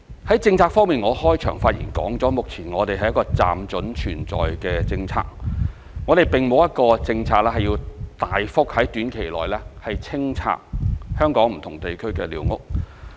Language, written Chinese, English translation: Cantonese, 在政策方面，我在開場發言中指出，目前這是一個"暫准存在"的政策，我們並沒有一個政策是要在短期內大幅清拆香港不同地區的寮屋。, In terms of policy as I said in the opening speech squatters are only tolerated on a temporary basis currently . We do not have a policy to demolish a large number of squatters in different districts of Hong Kong in the short term